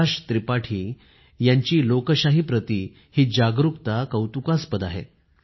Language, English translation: Marathi, Prakash Tripathi ji's commitment to democracy is praiseworthy